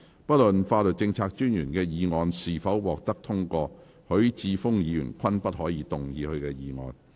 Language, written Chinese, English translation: Cantonese, 不論法律政策專員的議案是否獲得通過，許智峯議員均不可動議他的議案。, Irrespective of whether the Solicitor Generals motion is passed or not Mr HUI Chi - fung may not move his motion